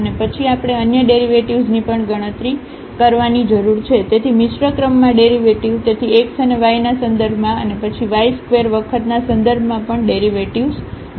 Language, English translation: Gujarati, And then we need to compute the other derivatives as well, so the mixed order derivative; so, with respect to x and y and then also the derivative with respect to y 2 times